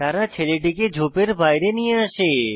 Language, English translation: Bengali, They carry the boy out of the bush